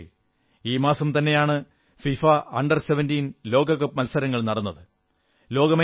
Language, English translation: Malayalam, Friends, the FIFA Under17 World Cup was organized this month